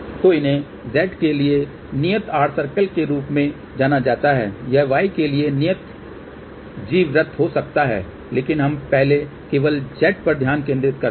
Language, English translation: Hindi, So, these are known as constant r circle; for Z, it can be constant g circle for y, but let us first focus only on z